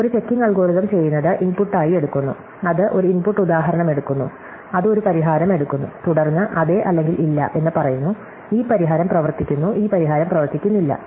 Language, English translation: Malayalam, So, recall that, what a checking algorithm does is it takes as input, it takes an input instance and it takes a solution, and then it says yes or no, this solution works this solution does not work